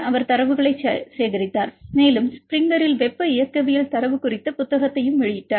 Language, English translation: Tamil, So, he collected the data and he published a book on thermodynamic data by Springer